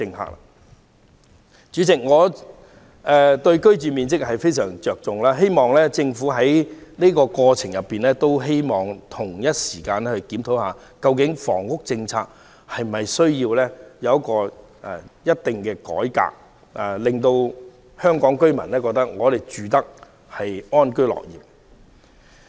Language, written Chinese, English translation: Cantonese, 代理主席，我對居住面積非常着重，希望政府在這個過程中，同時檢討房屋政策是否需要改革，令香港居民可以安居樂業。, Deputy President I attach much importance to living space . I hope that in the course of this process the Government will concurrently conduct a review on whether there is a need to reform our housing policy so that members of the public to live and work in peace and contentment